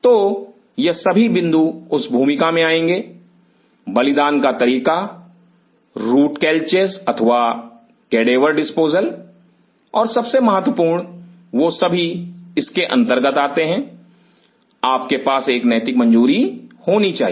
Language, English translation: Hindi, So, all these points will come to play that, sacrificing method, sacrificing root calchas or the cadaver disposal and most important they all fall under do you have to have an ethical clearance